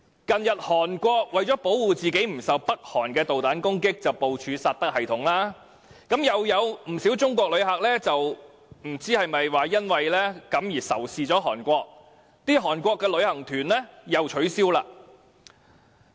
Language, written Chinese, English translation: Cantonese, 近日韓國為了保護自己免受北韓的導彈攻擊而部署薩德反導彈系統，又有不少中國人，不知是否因而仇視韓國，取消到韓國旅行。, Recently South Korea deployed the THAAD anti - missile defence system to guard against North Koreas missile attack . I am not sure whether the anti - Korean sentiment is thus aroused and many Chinese have cancelled their tours to South Korea